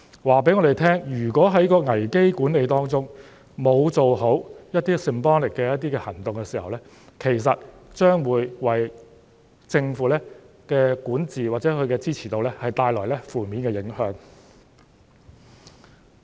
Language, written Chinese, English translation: Cantonese, 這告訴我們如果在危機管理中沒有做好一些 symbolic 的行動，其實將會為政府的管治或支持度帶來負面影響。, This shows that the failure to take symbolic actions properly in crisis management will actually create a negative impact on the governance or support rate of the Government